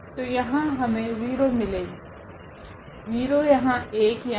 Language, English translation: Hindi, So, we will get 0 there, 0 there, 1 there